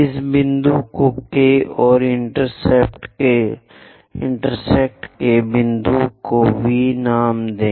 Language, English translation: Hindi, Let us name this point K and the intersection point as V